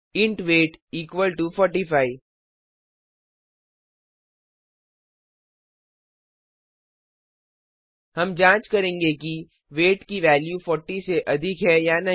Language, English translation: Hindi, int weight equal to 45 We shall check if the value in weight is greater than 40